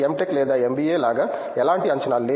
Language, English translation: Telugu, Tech or MBA don’t have any expectations